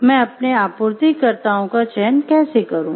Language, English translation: Hindi, Should I go for another supplier how do I select my suppliers